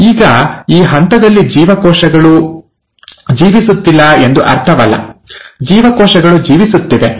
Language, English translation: Kannada, Now it doesn't mean that in this phase the cells are not living, the cells are living